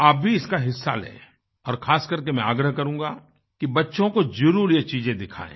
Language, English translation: Hindi, You should participate in this initiative and especially I urge you to make you children witness these campaigns